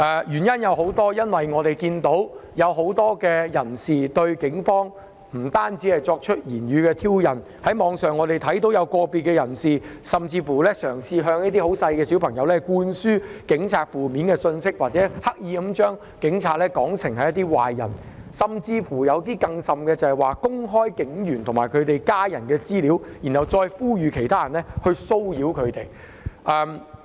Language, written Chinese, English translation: Cantonese, 原因有很多，我們看到很多人不單對警方作出言語上的挑釁，在網上也看到有個別人士甚至向一些小朋友灌輸有關警察的負面信息，刻意把警察說成是壞人，更甚的是公開警員及其家人的資料，然後呼籲其他人作出騷擾。, There are many reasons for this . We can see that not only did many people verbally provoke the Police on the Internet some individuals went so far as to convey negative impressions of the Police to children deliberately portraying the Police as bad guys and worse still publishing information on police officers and their families and then calling on other people to harass them